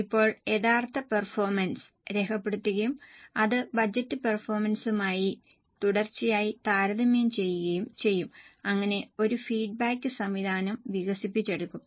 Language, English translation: Malayalam, Now the actual performance will be recorded and that will be continuously compared with the budgeted performance so that a feedback mechanism is developed